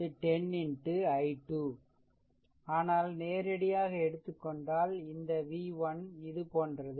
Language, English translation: Tamil, So, v 1 is equal to 10 into i 2, but we are taking directly directly, this v 1 like this, right